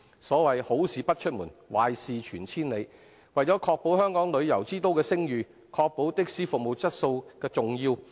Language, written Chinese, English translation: Cantonese, 所謂"好事不出門，壞事傳千里"，為保香港旅遊之都的聲譽，因此確保的士服務質素十分重要。, In order to uphold Hong Kongs reputation as a premier tourist city it is thus crucial to ensure the quality of taxi services